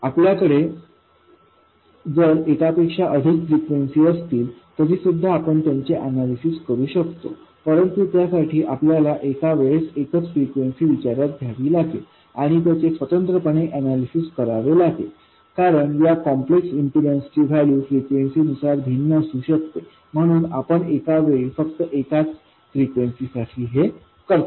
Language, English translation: Marathi, If you have multiple frequencies you can still analyze them but you have to consider the frequencies one at a time and analyze them separately because the values of these complex impedances can be different depending on theB has only omega 0